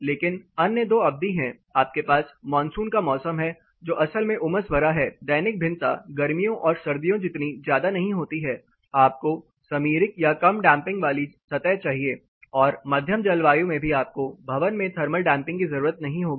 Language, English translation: Hindi, But there are other two spells where you have the monsoon seasons which is really sultry, the diurnal variations are not that high as summers and winters you will need more breezy less damped surfaces as well as the moderate season where you do not need the thermal damping effects in the building